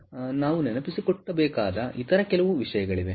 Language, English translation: Kannada, so there are certain other things that we need to keep in mind